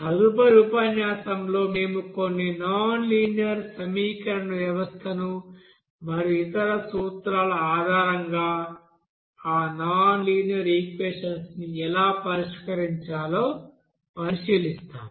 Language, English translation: Telugu, Next lecture we will consider some nonlinear equation system and how to you know solve that nonlinear equations based on other you know principles